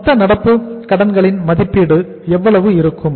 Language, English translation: Tamil, Estimation of the total current liabilities will be how much